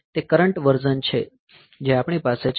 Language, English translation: Gujarati, So, that are the current versions that we have